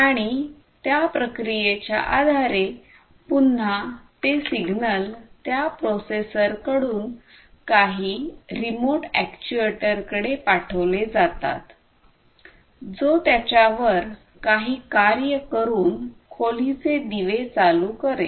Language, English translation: Marathi, And, based on that processing again that signal has to be sent from that processor to some remote actuator, which will do some actuation and that actuation could be turning on the lights of a room